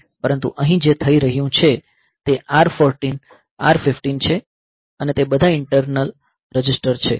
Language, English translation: Gujarati, But here what is happening is a say R 14 R 15 they are all internal registers ok